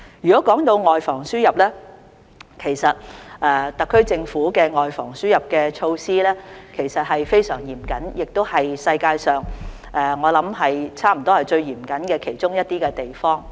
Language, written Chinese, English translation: Cantonese, 談到外防輸入，其實特區政府的外防輸入措施非常嚴謹，我相信香港亦是世界上最嚴謹的其中一個地方。, As for the prevention of importation of cases the SAR Governments measures are in fact very stringent and I believe that Hong Kong is one of the strictest places in the world